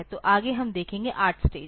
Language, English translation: Hindi, So, next we will see next we will see the 8 stage